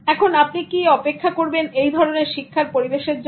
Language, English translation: Bengali, Now can you actually wait for that kind of learning environment